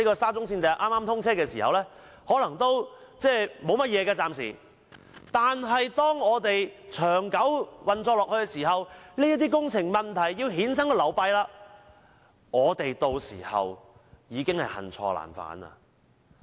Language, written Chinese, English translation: Cantonese, 沙中線通車初期可能不會有問題，但長久運作下去，有關的工程問題便會衍生流弊，屆時我們將恨錯難返。, It is possible that nothing will go wrong during the initial operation of SCL but the construction problem in question will lead to undesirable consequences in the long run in which case we will regret having made a mistake that can hardly be rectified